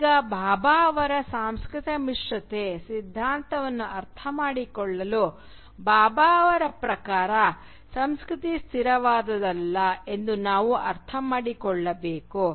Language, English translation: Kannada, Now, in order to understand Bhabha’s theory of cultural hybridity, we need to understand that for Bhabha culture is not a static entity